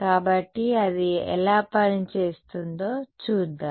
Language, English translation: Telugu, So, let us see how that works out